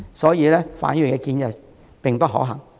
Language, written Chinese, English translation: Cantonese, 所以，范議員的建議並不可行。, Therefore Mr FANs suggestion is infeasible